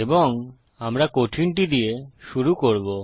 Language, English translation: Bengali, And we will start with the hard one